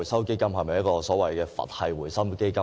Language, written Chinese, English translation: Cantonese, 基金是否所謂的"佛系基金"呢？, Is it true to say that the Fund is one of a Buddhist style?